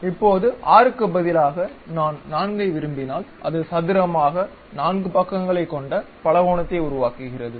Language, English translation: Tamil, Now, instead of 6 if I would like to have 4, it construct a polygon of 4 sides here square